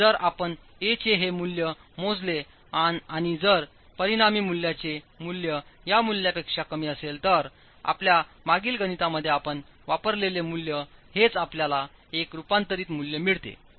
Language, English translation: Marathi, If you calculate this value of A and if the resulting value of A is less than this value, that is the value that you have used in your previous calculations, it should, you get a converged value